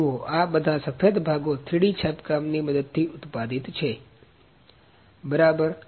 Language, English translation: Gujarati, See all these white components are manufactured using 3D printing, ok